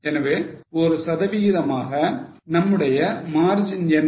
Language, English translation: Tamil, So, as a percentage, what is our margin is our PV ratio